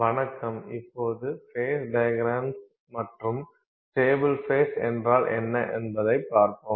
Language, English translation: Tamil, Hello, we will now look at phase diagrams and what are stable faces